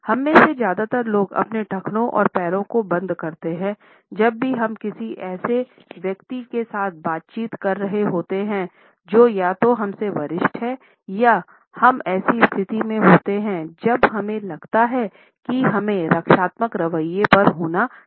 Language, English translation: Hindi, Most of us tend to unconscious the lock our ankles and feet whenever we are interacting with a person who is either senior to us or we find ourselves in a situation when we feel that we have to be rather on the defensive attitude